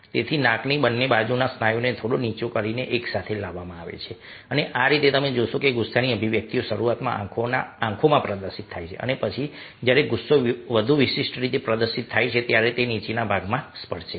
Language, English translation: Gujarati, so the muscles and both sides of the noses are lower little bit and brought together, and that is how you find that the expression of anger is initially displayed in the eyes and then, when anger is displayed more distinctively, then it touches the lower part of the body, her lower part of the face